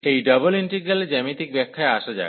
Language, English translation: Bengali, And coming to the geometrical interpretation for these double integrals